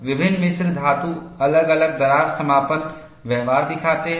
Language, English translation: Hindi, Different alloys exhibit different closure behaviors